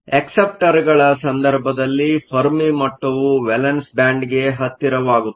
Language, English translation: Kannada, In the case of acceptors, the fermi level moves closer to the valence band